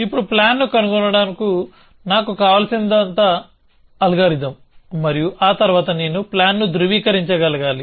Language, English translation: Telugu, Now, all I need is an algorithm to find a plan and then of course, I also need to be able to validate a plan